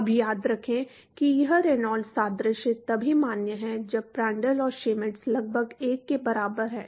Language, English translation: Hindi, Now, remember that this Reynolds analogy is valid only when Prandtl and Schmidt are equal to approximately equal to 1